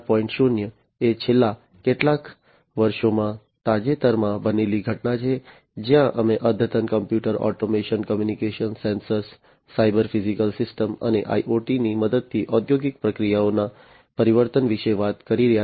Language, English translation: Gujarati, 0 is a recent happening in the last few years, where we are talking about transformation of the industrial processes with the help of advanced computers, automation, communication, sensors, cyber physical systems, and IoT in general